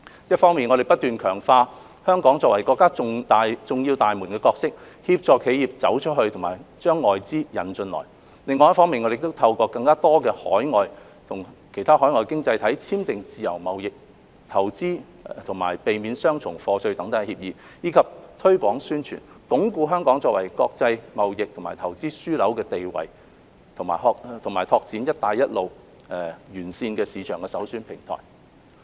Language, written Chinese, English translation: Cantonese, 一方面，我們不斷強化香港作為國家重要大門的角色，協助企業"走出去"和把外資"引進來"；另一方面，我們透過與更多其他海外經濟體簽訂自由貿易、投資及避免雙重課稅等協議，以及推廣、宣傳，鞏固香港作為國際貿易及投資樞紐的地位及開展"一帶一路"沿線市場的首選平台。, On the one hand we have continued to strengthen Hong Kongs role as the countrys key gateway assisting enterprises in going global and attracting foreign capital . On the other hand we have reinforced Hong Kongs status as an international trade and investment hub and the preferred platform for developing markets along the Belt and Road through signing free trade investment and avoidance of double taxation agreements with more overseas economies as well as promotion and publicity